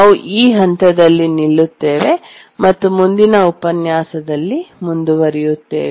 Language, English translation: Kannada, Now we are at the end of the lecture we will stop at this point and we'll continue in the next lecture